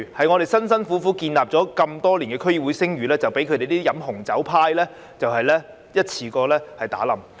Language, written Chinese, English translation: Cantonese, 我們辛苦建立多年的區議會聲譽，一下子就被他們喝紅酒的行為毀掉。, The drinking of red wine has thrown down the drain the reputation hard earned by DCs over the years in a blink of an eye